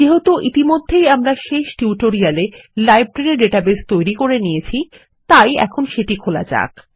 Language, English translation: Bengali, Since we already created the Library database in the last tutorial, this time we will just need to open it